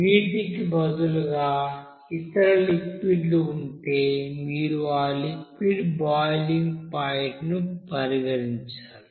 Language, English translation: Telugu, If instead of water other liquids are there, you have to consider there what should be the boiling point of that liquid